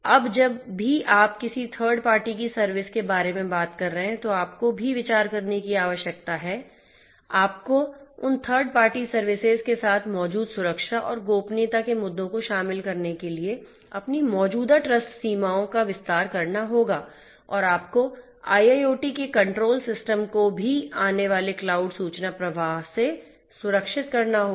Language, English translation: Hindi, Now whenever you are talking about a third party service, you also need to consider you have to extend your existing trust boundaries to include the security and privacy issues that are existing with those third party services and you also have to safeguard the control systems in your IIoT from the incoming cloud information flow